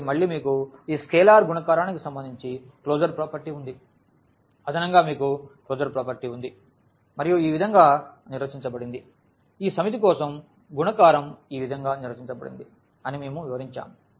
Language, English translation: Telugu, So, again we have the closure property with respect to this scalar multiplication, we have the closure property with respect to the addition and this addition is defined in this way which we have explained the multiplication is defined in this way for this set